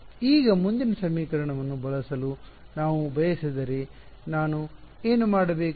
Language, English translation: Kannada, Now, if I wanted to use the next equation what should I do